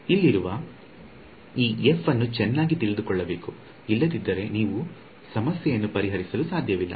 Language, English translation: Kannada, This f over here had better be known otherwise you cannot solve the problem